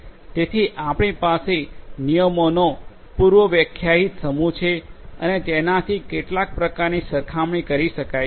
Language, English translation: Gujarati, So, you have a predefined set of rules and some kind of matching can be done